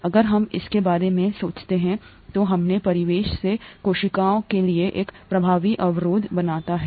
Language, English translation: Hindi, If we think about it, this forms an effective barrier to the cell from its surroundings